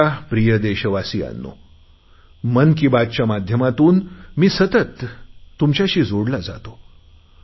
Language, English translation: Marathi, My dear country men, through Mann Ki Baat, I connect with you regularly